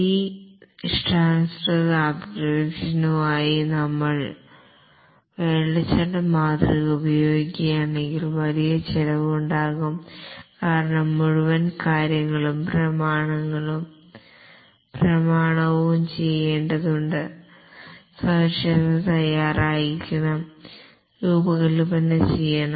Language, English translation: Malayalam, If we use the waterfall model for this custom applications, there will be huge cost because the entire thing has to be documented, specification laid out, design and so on